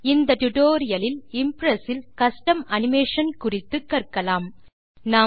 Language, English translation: Tamil, In this tutorial we will learn about Custom Animation in Impress